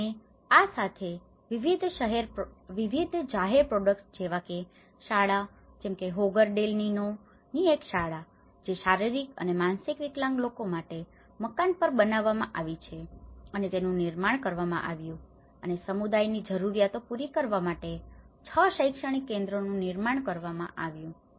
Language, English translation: Gujarati, And with this, there has been various public projects like schools, like this one school of Hogar del Nino which has been developed on a house for people with physical and mental disabilities which has been constructed and there is 6 educational centres which has been constructed to cater the needs of the community